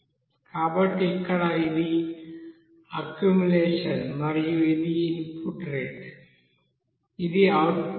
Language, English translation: Telugu, So here this is accumulation and this is input rate, this is output rate